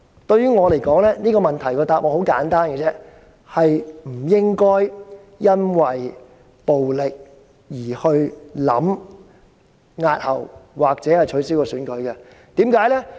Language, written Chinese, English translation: Cantonese, 對我而言，這個問題的答案很簡單，就是不應因暴力威脅而考慮押後或取消選舉。, To me the answer to this question is simple enough the threat of violence should not be a factor for consideration to postpone or cancel the election